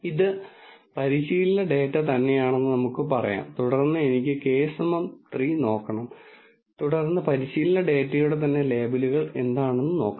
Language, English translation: Malayalam, Let us say this is actually the training data itself and then I want to look at k equal to 3 and then see what labels will be for the training data itself